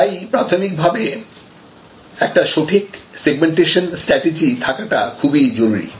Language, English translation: Bengali, So, initially it is very important to have a clear cut segmentation strategy